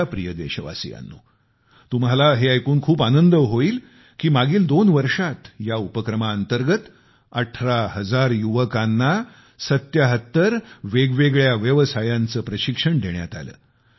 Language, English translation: Marathi, My dear countrymen, it would gladden you that under the aegis of this programme, during the last two years, eighteen thousand youths, have been trained in seventy seven different trades